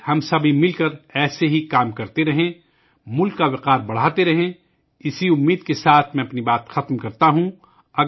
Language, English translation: Urdu, Let us all keep working together for the country like this; keep raising the honor of the country…With this wish I conclude my point